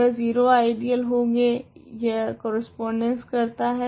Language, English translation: Hindi, They are 0 ideal this corresponds to